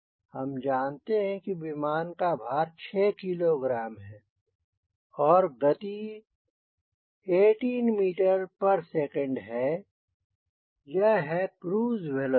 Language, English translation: Hindi, we know that weight of aircraft is six kg and velocity is eighteen meters per second velocity